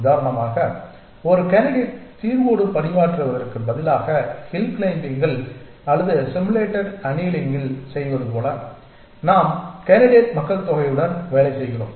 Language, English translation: Tamil, We mean that instead of working with a single candidate solution for example, as we do in hill climbing or in simulated annealing we work with a population of candidates